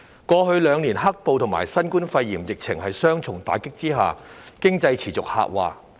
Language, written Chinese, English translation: Cantonese, 過去兩年，在"黑暴"和新冠肺炎疫情的雙重打擊下，經濟持續下滑。, Over the past two years under the double blow of the riots and the coronavirus epidemic our economy has suffered a continued decline